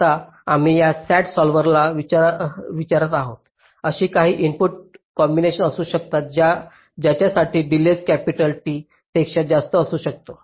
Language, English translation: Marathi, now we are asking this sat solver: can there be some input combinations for which the delay can exceed capitality